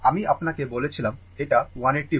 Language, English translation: Bengali, I told you it is 180 volt